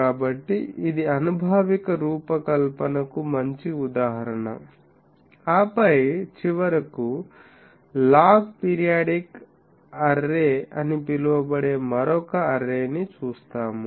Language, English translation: Telugu, So, this is a good example of an empirical design, and then finally, we will see another array that is called log periodic array